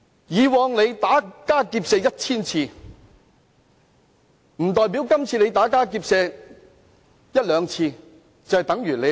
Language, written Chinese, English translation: Cantonese, 以往打家劫舍 1,000 次，並不代表今次打家劫舍一兩次就算沒有犯罪。, If one commits a thousand crimes in the past that does not mean he has not violated the law for committing just one crime